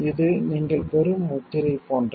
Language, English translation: Tamil, It is like a stamp that you get